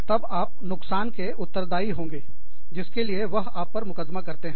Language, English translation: Hindi, Then, you will be, liable for the damages, that they are suing you for